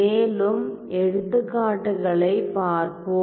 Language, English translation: Tamil, So, let us now look at further examples